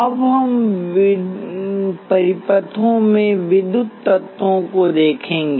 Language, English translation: Hindi, We will now look at electrical elements in circuits